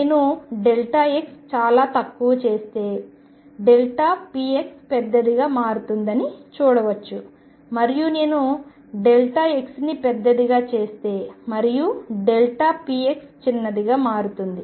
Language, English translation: Telugu, You can see if I make delta x smaller and smaller delta p as becomes larger, and larger if I make delta x larger and larger delta p x becomes smaller and smaller smaller